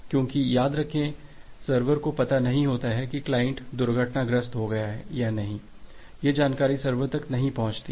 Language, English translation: Hindi, Because remember that the server does not know whether the client has been crashed or not, that information has not reached to the server